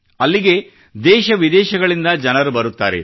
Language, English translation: Kannada, People arrive there from the country and abroad